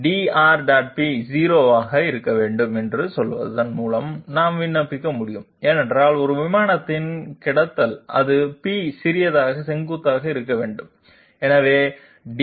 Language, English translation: Tamil, So that we can that condition we can apply by saying that dR dot p must be 0, because if it is lying on the plane it must be perpendicular to p small and therefore, dR dot p is 0 that is what we have written here